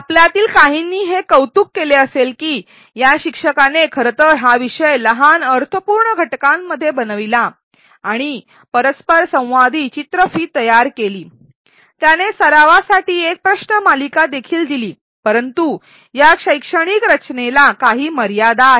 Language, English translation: Marathi, Some of you may have appreciated that this teacher in fact, chunked the topic into small meaningful units and created interactive videos, he even gave a quiz for practice, but this pedagogical design has some limitations